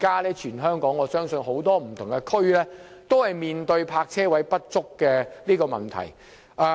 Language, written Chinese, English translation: Cantonese, 現時本港多區都面對泊車位不足的問題。, Many districts in Hong Kong are currently faced with a shortage of parking spaces